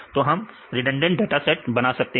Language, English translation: Hindi, So, we can make the redundant datasets